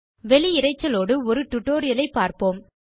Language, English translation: Tamil, Let us see a tutorial with external noise